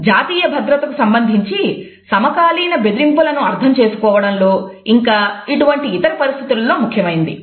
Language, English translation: Telugu, They are also significant for understanding contemporary threats to national security as well as in similar other situation